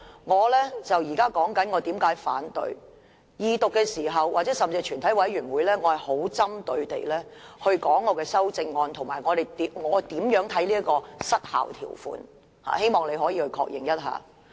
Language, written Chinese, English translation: Cantonese, 我現在說我為何反對，在二讀甚至是在全體委員會審議階段，我也是針對我的修正案發言，以及我如何看待失效條款，希望你可以確認一下。, I am now saying the reasons of my objection . I focused on my amendment and the expiry clause at the Second Reading debate and the Committee stage . You can check it